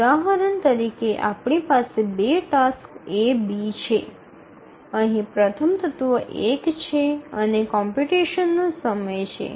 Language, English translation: Gujarati, The first example, we have two tasks, A, B, and the first element here is one, is the computation time